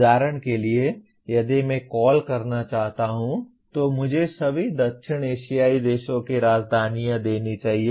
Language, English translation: Hindi, For example if I want to call give me the capitals of all the South Asian countries